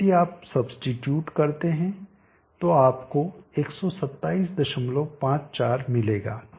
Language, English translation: Hindi, 3 now if you substitute you will get 127